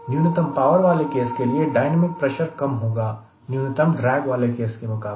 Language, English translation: Hindi, so dynamic pressure for minimum power will be less than dynamic pressure that minimum drag